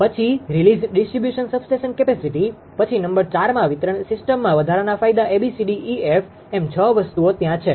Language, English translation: Gujarati, Then release distribution substation capacity, then number 4 additional advantages in distribution system A, B, C, D, E, F four six things are there